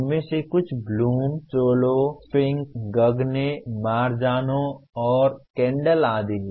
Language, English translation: Hindi, Some of them are Bloom, SOLO, Fink, Gagne, Marazano, and Kendall etc